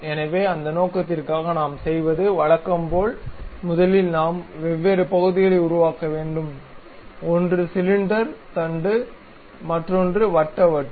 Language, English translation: Tamil, So, for that purpose, what we do is as usual first we have to construct different parts, one is cylinder shaft, other one is circular disc